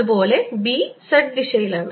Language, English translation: Malayalam, similarly, b is in the z direction